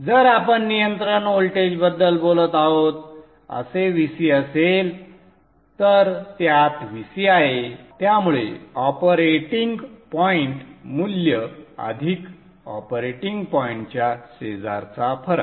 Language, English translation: Marathi, So if it is VC that we are talking of the control voltage, it is having a VC operating point value plus variation in the neighborhood of the operating point value